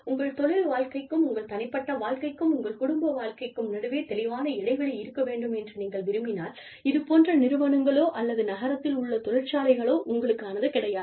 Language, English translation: Tamil, If you like to have, clear compartments, between your work life, and your personal life, and your family life, then these kinds of institutes, or maybe, even industry townships, are not for you